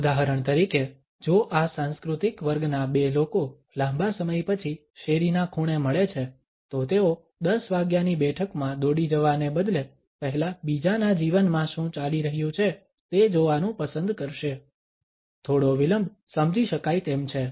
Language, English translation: Gujarati, For example if two people who belong to this cultured meet on the street corner after a long time, they would prefer to catch on what is going on in others life first rather than rushing to a 10 o clock meeting, a slight delay is understandable